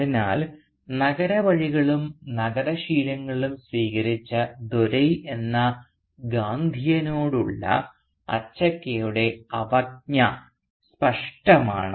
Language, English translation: Malayalam, And therefore Achakka’s contempt for this Gandhi man Dore who adopted city ways and city habits is unequivocal